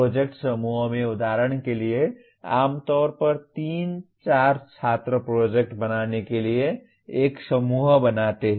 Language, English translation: Hindi, For example in project groups generally 3, 4 students form a group to do the project